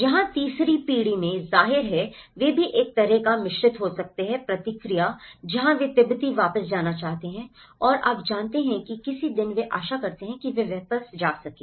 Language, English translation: Hindi, Where in the third generation, obviously, they also have could have a kind of mixed response where they also want to go back to Tibet and you know, someday that they hope that they go back